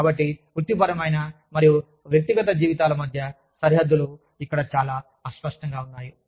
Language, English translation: Telugu, So, the boundaries between professional and personal lives, are very blurred here